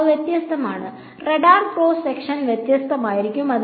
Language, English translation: Malayalam, So, they are different and therefore, the radar cross section is going to be different